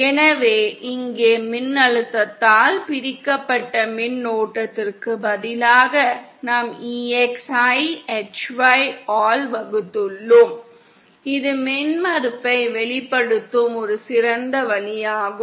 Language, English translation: Tamil, So here instead of voltage divided current, we have EX divided by HY and this is also an effective way of expressing impedance